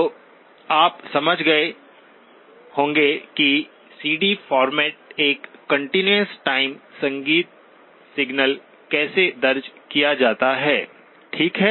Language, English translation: Hindi, So you have understood how the continuous time music signal is recorded on to a CD format, okay